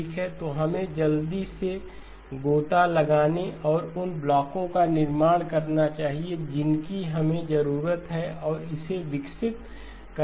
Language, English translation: Hindi, Okay so let us quickly dive in and build the blocks that we need and develop that